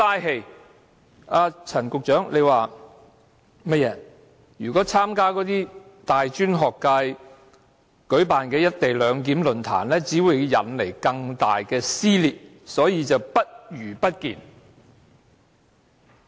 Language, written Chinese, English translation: Cantonese, 正如陳局長所說，若參加大專學界舉辦的"一地兩檢"論壇，只會引來更大撕裂，所以"不如不見"。, As stated by Secretary Frank CHAN if he attended the forum on the co - location arrangement organized by the students of tertiary institutions it would only cause further rift hence non - attendance was better